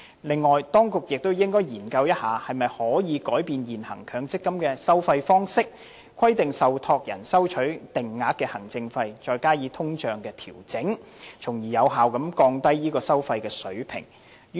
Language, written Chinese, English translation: Cantonese, 此外，當局亦應該研究是否可以改變現行強積金的收費方式，規定受託人收取定額行政費，再加上通脹的調整，從而有效地降低收費水平。, Moreover the authorities should also study whether changes can be introduced to the existing MPF fee charging approach so as to require trustees to collect fixed administration fees in addition to the inflationary adjustment with a view to lowering fees in an effective manner